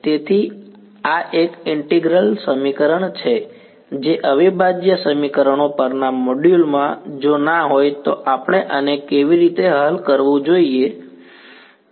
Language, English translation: Gujarati, So, this is a integral equation which in the module on integral equations if no we have seen how to solve this